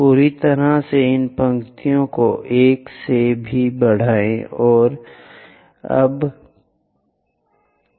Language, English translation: Hindi, Similarly, extend these lines also from 1; oh this not anymore